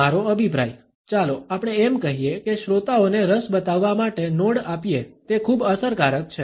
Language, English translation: Gujarati, My opinion, the let us call it listeners nod to show interest is very effective